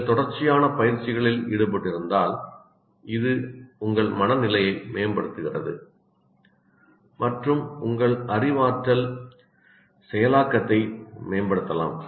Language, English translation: Tamil, If you are involved in continuous exercises, you are exercising regularly, then it improves your mood and also can enhance your cognitive processing